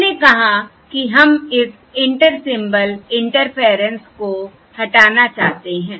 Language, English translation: Hindi, And we said we want to remove this Inter Symbol Interference